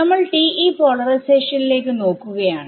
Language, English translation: Malayalam, We are looking at TE polarization